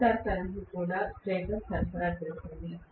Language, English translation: Telugu, Stator is also supplying the rotor current